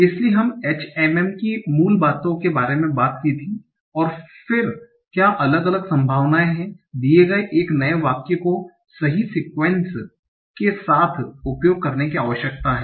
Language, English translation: Hindi, So we had gone through the basics of HM and what are the different probabilities then one need to use to be able to come up with the best sequence given a new sentence